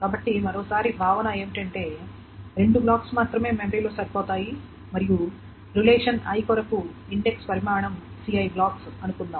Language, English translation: Telugu, So once more the assumption is that only two blocks fit in memory and size of the index for relation I, let us say is C I blocks, C